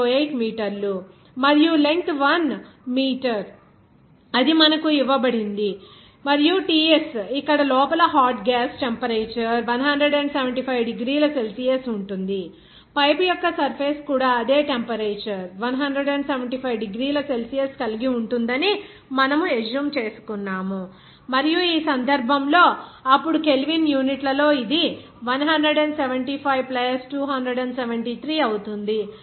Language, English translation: Telugu, 08 meters and length is 1 meter it is given to you and Ts is here that inside hot gas temperature is 175 degrees Celsius, we are assuming that the surface of the pipe will have that same temperature of 175 degrees Celsius and in this case, then in Kelvin unit it will be 175 + 273